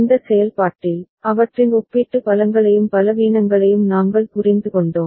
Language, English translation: Tamil, And in the process, we understood their relative strengths and weaknesses